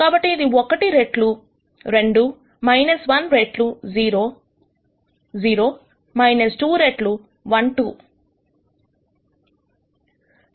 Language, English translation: Telugu, So, this will be one times 2 minus 1 times 0 0 minus 2 times 1 2